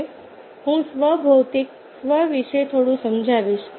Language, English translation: Gujarati, now i will explain a little bit about this self, physical self